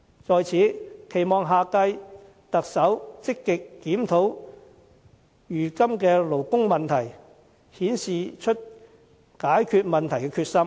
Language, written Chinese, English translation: Cantonese, 在此，我期望下屆特首積極檢討如今的勞工問題，顯示出解決問題的決心。, Here I hope that the next Chief Executive can actively examine the existing labour issues and show the determination to resolve the problems